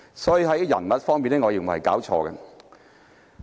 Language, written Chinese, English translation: Cantonese, 所以，在人物方面，我認為是弄錯了。, Therefore I think this motion is targeted at the wrong person